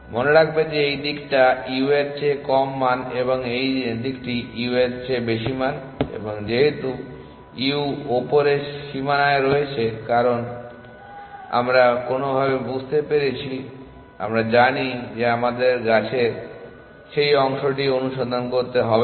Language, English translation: Bengali, Remember that this side is values lesser than u and that side is values greater than you and because u is on upper bound on cause that we have somehow figured out we know that we do not have to search that part of the tree